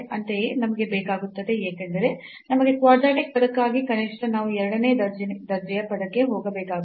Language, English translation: Kannada, Similarly, we need because for the quadratic term we need at least we need to go to the second order term so f xx